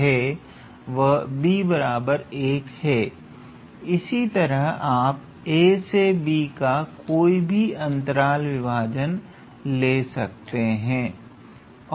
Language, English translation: Hindi, So, you can consider any type of partition for this interval a to b